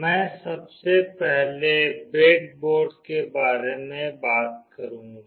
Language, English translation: Hindi, I will first talk about the breadboard